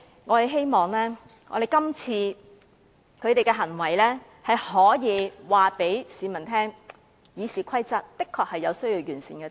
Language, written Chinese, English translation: Cantonese, 我們希望他們今次的行為可以告訴市民，《議事規則》確有需要完善之處。, I hope the public can see what they are doing and realize the very true necessity of perfecting RoP